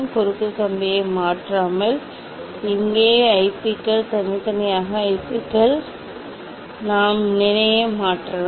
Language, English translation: Tamil, IPs here without changing cross wire, individually IPs we can change the position